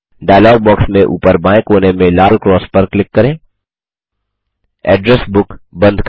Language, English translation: Hindi, Close the Address Book by clicking on the red cross on the top left corner of the dialog box